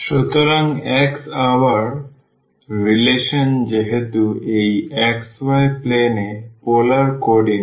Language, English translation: Bengali, So, x the relation again since it is the polar coordinate in this xy plane